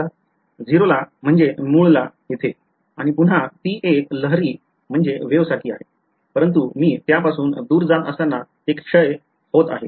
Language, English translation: Marathi, At 0 at the origin right; and again it is like a wave, but it is decaying as I go away from it ok